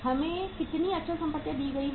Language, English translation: Hindi, How much is the fixed assets given to us